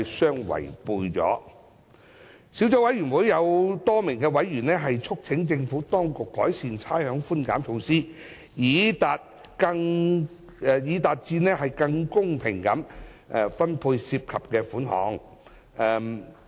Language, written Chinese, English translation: Cantonese, 小組委員會多名委員促請政府當局改善差餉寬減措施，以期達致更公平地分配涉及的款項。, A number of Subcommittee members have urged the Government to improve the rates concession measure to achieve a more equitable distribution of the concessions